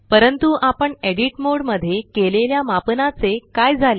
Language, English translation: Marathi, So what happened to the scaling we did in the edit mode